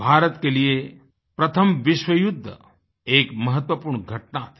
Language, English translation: Hindi, For India, World War I was an important event